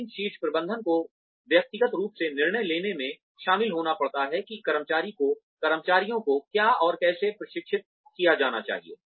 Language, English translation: Hindi, But, the top management has to be personally involved in deciding, what the employees need to be trained in, and how